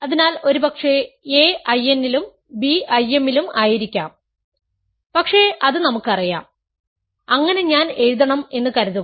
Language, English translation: Malayalam, So, maybe a is in I n and b is in I m, but we know that so, assume I should write